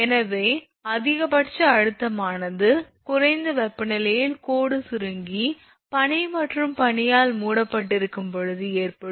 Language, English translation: Tamil, So, maximum stress occurs at the lowest temperature, when the line has contracted and is also possibly covered with ice and sleet right